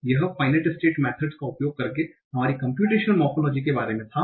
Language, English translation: Hindi, So this is this was about our computation morphology using finite methods